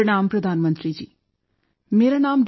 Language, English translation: Punjabi, "Pranam Pradhan Mantri ji, I am Dr